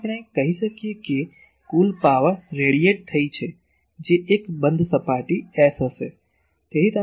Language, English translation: Gujarati, So, we can say that total power radiated that will be a closed surface S